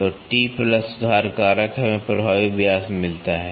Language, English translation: Hindi, So, T plus correction factor we get the effective diameter